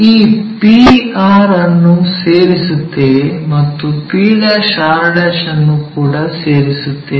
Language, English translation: Kannada, Let us join this p and r' also, p' and r'